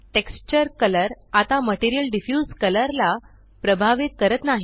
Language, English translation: Marathi, The texture color no longer influences the Material Diffuse color